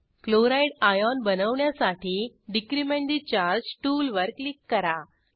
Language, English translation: Marathi, To form Chloride ion, click on Decrement the charge tool